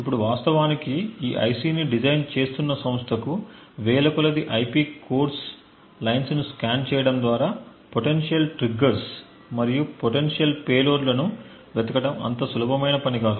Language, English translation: Telugu, Now the company which is actually designing this IC it would not be very easy for them to actually scan through thousands of lines of IP cores looking for potential triggers and potential payloads that may be present